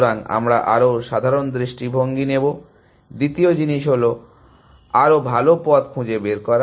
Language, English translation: Bengali, So, we will take a more general view, two is find better path